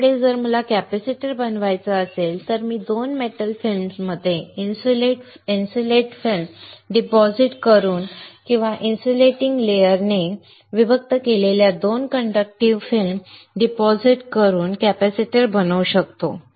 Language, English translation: Marathi, So, if I want to fabricate a capacitor, I can fabricate a capacitor by depositing an insulating film between 2 metal films or depositing 2 conductive film separated by an insulating layer